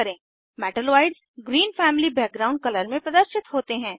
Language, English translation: Hindi, Metalloids appear in Green family background color